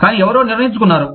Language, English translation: Telugu, But, somebody decided that